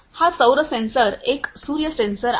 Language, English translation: Marathi, So, this is the solar sensors a sun sensor and so on